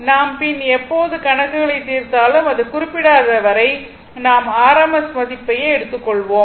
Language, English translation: Tamil, Whenever we will solve numericals unless and until it is specified we will take the rms value